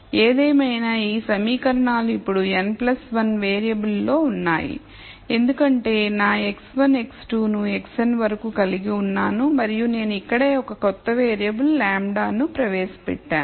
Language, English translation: Telugu, Nonetheless these equations are in now n plus 1 variable because I have my x 1 x 2 all the way up to x n and I have also introduced a new variable lambda right here